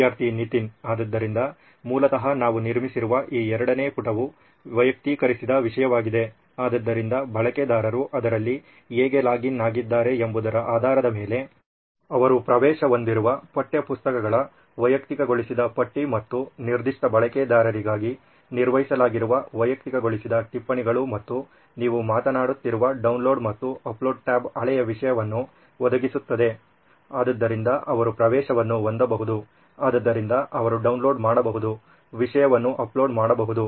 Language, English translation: Kannada, So basically this second page that we have built would be personalised content right, so based on how the user has logged in it would be personalised list of textbooks that he has access to and personalised notes that has been maintained for that particular user and the download and upload tab that you are talking about would provide a old stuff content that from which he can have access to it, from which he can download, upload content